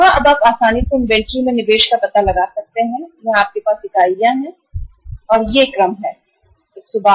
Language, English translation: Hindi, Now you can easily find out the investment in the inventory that is the number of units you have here is this, this, this and this right